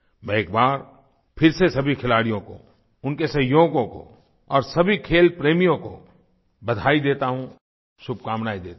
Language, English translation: Hindi, I extend my congratulations and good wishes to all the players, their colleagues, and all the sports lovers once again